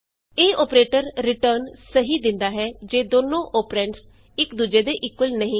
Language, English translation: Punjabi, This operator returns true when both operands are equal to one another